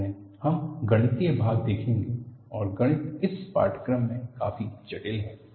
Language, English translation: Hindi, Later we will take up mathematics and mathematics is quite complex in this course